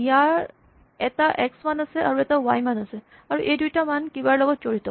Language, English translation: Assamese, It has an x value and a y value, and this x value is something and the y value is something